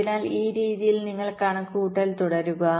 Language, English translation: Malayalam, so in this way you go on calculating